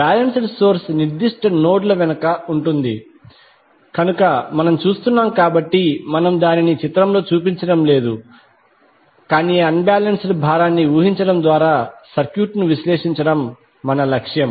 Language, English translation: Telugu, So balanced source is behind the particular nodes, which we are seeing so we are not showing that in the figure but since our objective is to analyze the circuit by assuming unbalanced load